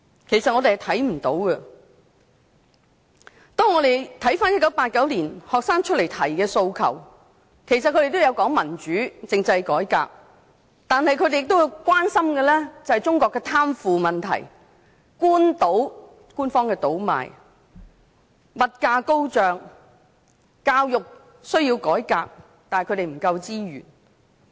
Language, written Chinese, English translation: Cantonese, 學生在1989年提出的訴求，都有提及民主和政制改革，但他們亦關心中國的貪腐、官方倒賣及物價高漲的問題，也認為教育需要改革，但他們的資源不足。, In 1989 the demands made by the students include democracy and constitutional reform but they were also concerned about problems such as corruption official profiteering and inflation in China . They also considered there was a need for reform in education despite a lack of resources